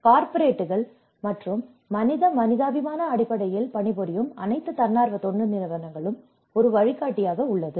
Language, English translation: Tamil, There is a guide to the corporates, all the NGOs who are working in the humanitarian sector